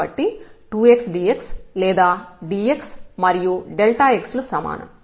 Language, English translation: Telugu, So, 2 x into dx or dx is delta x is the same